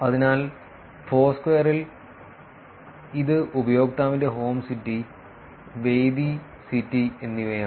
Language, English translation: Malayalam, So, in Foursquare, it is user home city and venue city